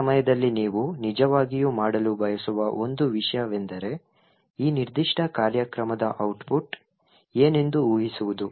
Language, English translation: Kannada, One thing you would actually like to do at this time is to guess what the output of this particular program is